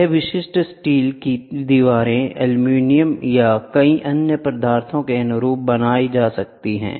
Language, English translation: Hindi, It can be made to suit typical steel walls aluminum or many other substances